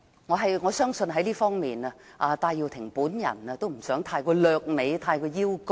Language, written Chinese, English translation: Cantonese, 我相信在這方面，戴耀廷也不想過於掠美和邀功。, I believe Benny TAI does not want to claim the credit in this regard